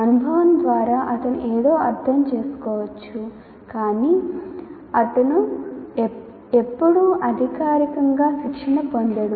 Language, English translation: Telugu, Some of those experiences, maybe through experience he may understand something, but is never formally trained in that